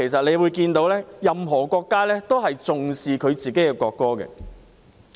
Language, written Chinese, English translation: Cantonese, 由此可見，任何國家都重視自己的國歌。, It is thus clear that any country attaches a great deal of importance to its national anthem